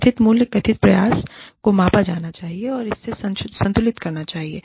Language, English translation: Hindi, The perceived value, the perceived effort involved, has to be measured, and has to be balanced out